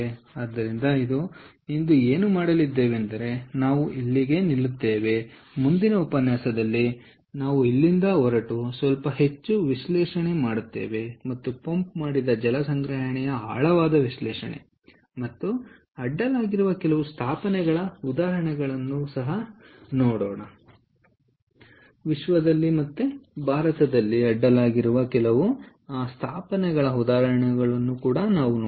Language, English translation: Kannada, ok, so what we will do today is we are going to stop over here and in the next lecture we will take off from here and do a little more analysis, a deeper analysis of pumped hydro storage, and also look at some of the examples ah of installations across the world, as well as in india